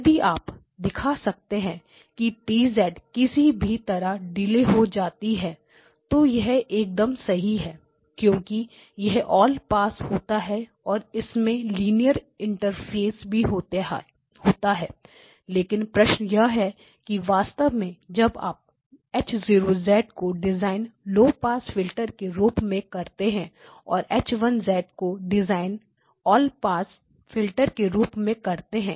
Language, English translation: Hindi, So, if you can show that T of Z somehow becomes a delay, then perfect because it is a all pass and it also gives the linear interface, but the question is it is a actually when your design H of Z you design it to be a low pass filter and then H1 has to be designed as an all pass filter high pass filter